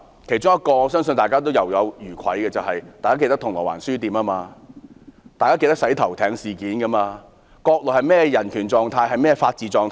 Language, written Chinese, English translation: Cantonese, 我相信大家仍猶有餘悸，大家還記得銅鑼灣書店事件、"洗頭艇事件"，而國內的人權、法治狀況是怎樣的？, I believe people still shiver when recalling the Causeway Bay Books incident and the shampoo boat incident and thinking about what the conditions of human rights and rule of law in the Mainland are like